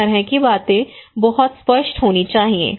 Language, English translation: Hindi, This kind of things should be very clear